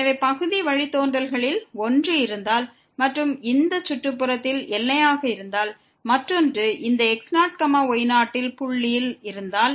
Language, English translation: Tamil, So, if one of the partial derivatives exist and is bounded in this neighborhood and the other one exist at this point